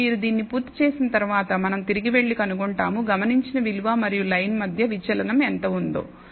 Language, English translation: Telugu, Then once you have done this we will actually go back and find out how much deviation is there between the observed value and the line